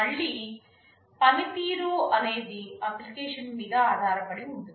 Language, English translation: Telugu, Performance again depends on the application